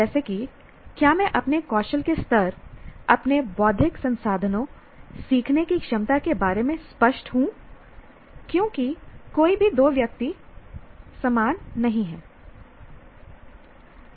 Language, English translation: Hindi, That is That is, do I know, am I clear about my skill levels, my intellectual resources, my abilities as learner, because no two people are the same